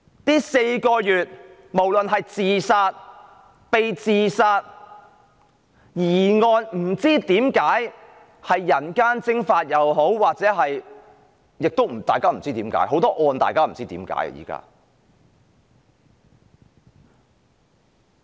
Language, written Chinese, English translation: Cantonese, 這4個月以來，無論是自殺、被自殺、疑案，包括很多人不知何解而人間蒸發，現在很多案件都是大家不明所以的。, In the last four months there were suspicious cases of suicide or being suicided involving the disappearance of numerous persons under mysterious circumstances . There have been many cases these days that boggle peoples minds